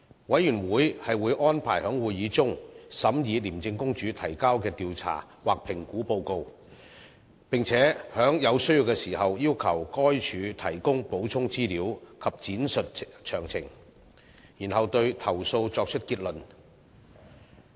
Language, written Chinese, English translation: Cantonese, 委員會會安排在會議中審議廉政公署提交的調查或評估報告，並在有需要時要求該署提供補充資料及闡述詳情，然後對投訴作出結論。, Investigation or assessment reports submitted by ICAC will be arranged to be considered at a Committee meeting . When necessary the Committee may seek additional information and further details from ICAC before drawing any conclusion on the complaints